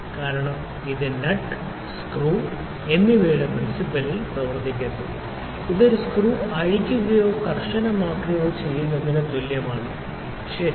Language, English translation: Malayalam, Because it is it is working on the principal of the nut and screw it is just like loosening or tightening a screw, ok